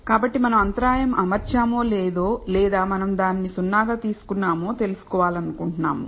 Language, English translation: Telugu, So, we want to know whether we should have fitted the intercept or not whether we should have taken it as 0